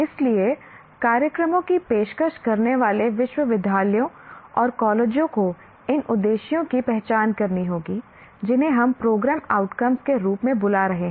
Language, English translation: Hindi, So, universities and colleges offering the programs will have to identify these aims called, we are calling them as program outcomes